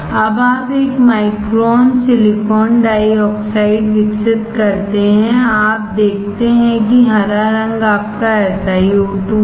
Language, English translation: Hindi, Now you grow one micron silicon dioxide; you can see here green color is your SiO2